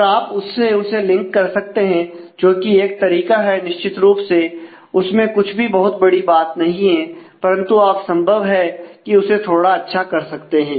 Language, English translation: Hindi, And you can link to that that is that is one way certainly there is nothing very smart in terms of doing that, but you can you would possibly like to do better than that